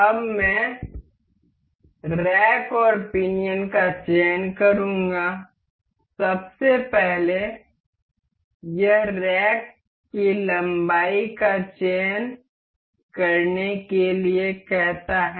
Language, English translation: Hindi, Now, I will select rack and pinion so, first this asks for this to select the rack length